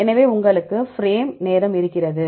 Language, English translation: Tamil, So, you have time frame